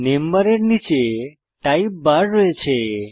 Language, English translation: Bengali, Below the name bar is the type bar